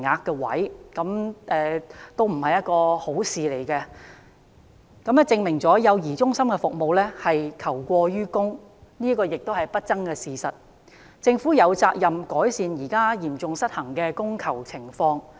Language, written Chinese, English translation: Cantonese, 這不是一件好事，亦證明了幼兒中心服務求過於供是不爭的事實，政府有責任改善現時嚴重失衡的供求情況。, This is not good which has proved the undeniable fact that the provision of child care centre services cannot meet the demand . The Government has the obligation to improve the current serious imbalance between supply and demand in this respect